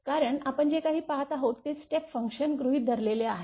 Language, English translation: Marathi, Because all the things whatever we are observing it is step function you assumed right